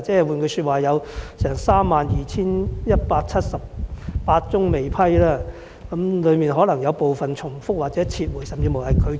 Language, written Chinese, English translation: Cantonese, 換言之，有32178宗未批，當中可能有部分申請重複或已撤回，甚至已被拒絕。, In other words 32 178 applications have not been approved including possibly duplicated withdrawn or even rejected applications